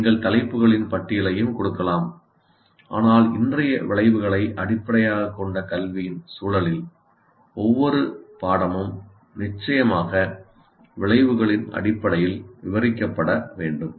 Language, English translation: Tamil, You may also give a list of topics, but in today's context of outcome based education, every course will have to be described in terms of course outcomes